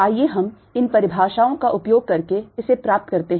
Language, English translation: Hindi, let us get this using these definitions